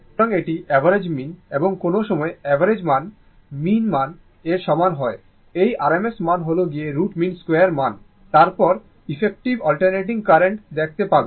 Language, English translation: Bengali, So, this is average mean and this RMS for sometimes average value is equal to mean value RMS value that is root mean square value will see what is this is called effective value of an alternating current